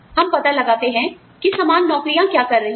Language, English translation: Hindi, We find out, what similar jobs are being